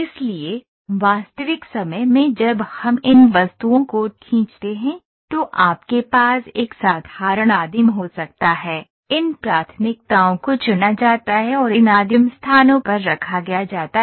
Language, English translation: Hindi, So, when we real time draw these objects, we draw this this is a simple object or this you can have use it as a you can have a simple primitive is there, these primitives are chosen and these primitives are placed at locations